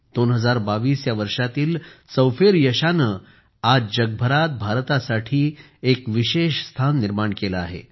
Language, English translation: Marathi, The various successes of 2022, today, have created a special place for India all over the world